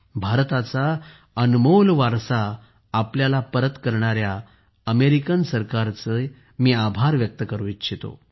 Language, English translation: Marathi, I would like to thank the American government, who have returned this valuable heritage of ours